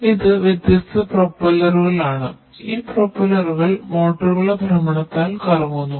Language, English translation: Malayalam, So, these are these different propellers and these propellers they rotate by virtue of the rotation of the motors